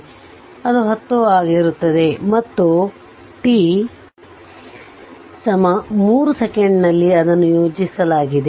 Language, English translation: Kannada, So, it will be 10 and at t is equal to 3 second it is plotted